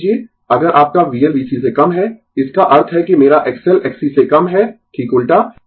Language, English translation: Hindi, Suppose if your V L less than V C, that means, my X L less than X C just opposite